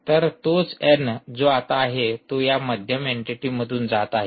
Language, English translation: Marathi, so the same n that is here is now going through this middle entity